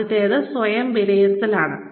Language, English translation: Malayalam, The first one is, self assessment